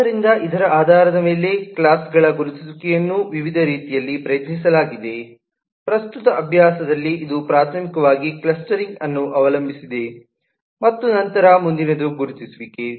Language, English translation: Kannada, so, based on this, the identification of classes have been tried in various different ways and, as of the current practice, it primarily relies on one, on clustering, and then next is on identification